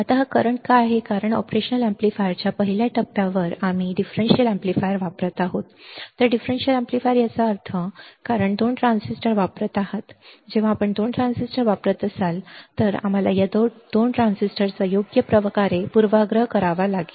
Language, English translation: Marathi, Now, why this current flows is because at the first stage of the operation amplifier we are using differential amplifier whereas, the differential amplifier; that means, you are using 2 transistors when you are using 2 transistors, then we have to bias these 2 transistor correctly, but practically it is not possible to bias perfectly